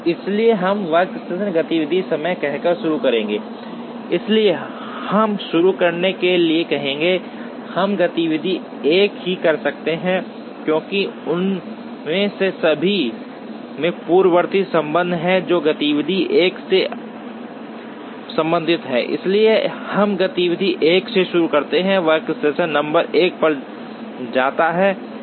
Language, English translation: Hindi, So, we would start by saying workstation activity time, so we would say to begin with, we can do activity 1 only, because all the rest of them have precedence relationships which are related to activity 1, so we start with activity 1, which goes to workstation number 1